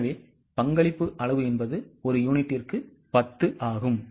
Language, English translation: Tamil, So, contribution margin is 10 per unit